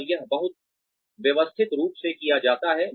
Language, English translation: Hindi, And, this is done very systematically